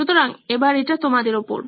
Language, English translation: Bengali, So, over to you guys